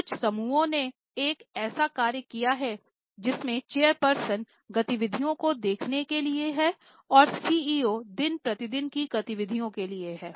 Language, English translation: Hindi, Some of the groups have done a separation that have a separate person as chairperson to overlook the activities, CEO for regular conduct of activities